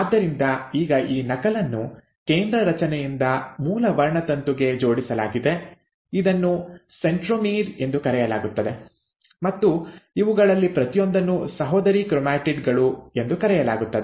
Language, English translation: Kannada, So now this duplicated copy is also attached to the parent chromosome by a central structure which is called as the centromere and each of these are called as sister chromatids